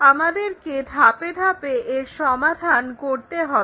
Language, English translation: Bengali, That we have to do step by step